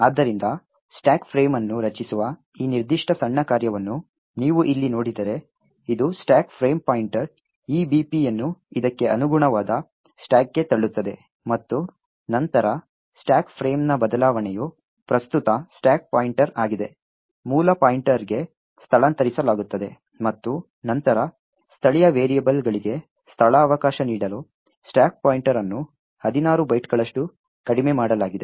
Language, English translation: Kannada, So, if you look at this particular small function over here which essentially creates the stack frame, it pushes the stack frame pointer, EBP on to the stack that corresponds to this and then there is a changing of stack frame that is the current stack pointer is moved to base pointer and then the stack pointer is decremented by 16 bytes to give space for the local variables